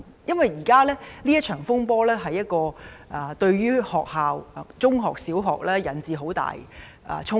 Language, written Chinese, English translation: Cantonese, 因為現時這場風波已對學校，不論是中學或小學，帶來了很大的衝擊。, It should be noted that the current disturbances have already brought a very great impact to schools secondary and primary schools alike